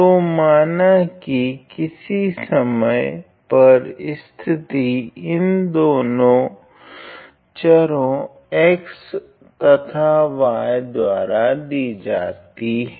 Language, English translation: Hindi, So now, let me just say that at any time, the position is denoted by this these two variable x and y